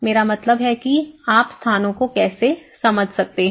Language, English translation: Hindi, I mean how you can understand the places